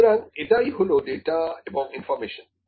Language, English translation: Bengali, Now, what is information